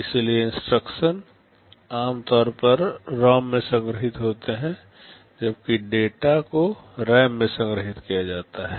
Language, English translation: Hindi, So, instructions are typically stored in a ROM while data are stored in a RAM